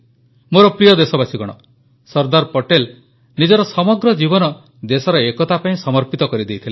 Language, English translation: Odia, Sardar Patel devoted his entire life for the unity of the country